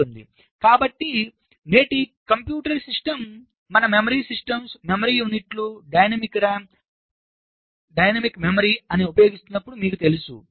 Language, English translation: Telugu, so you know that when todays computer system we use the memory systems, memory units, using something called dynamic ram, dynamic memory